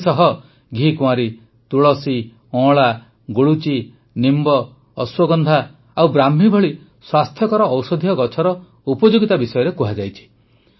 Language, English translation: Odia, Along with this, the usefulness of healthy medicinal plants like Aloe Vera, Tulsi, Amla, Giloy, Neem, Ashwagandha and Brahmi has been mentioned